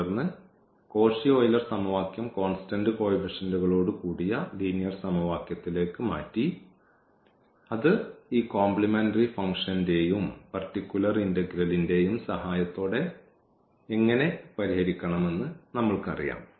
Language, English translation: Malayalam, And then the Cauchy Euler equation was changed to the linear equation with constant coefficient and that we know how to solve with the help of this complementary function and the particular integral